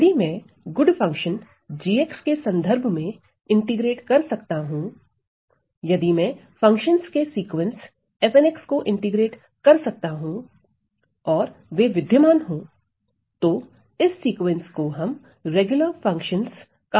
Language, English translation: Hindi, So, if I can integrate with respect to this good function g x, if I can integrate this sequence of functions f n x and they exist then this sequence is called the sequence is called regular functions right well